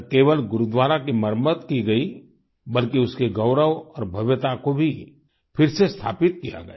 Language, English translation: Hindi, Not only was the renovation done; its glory and grandeur were restored too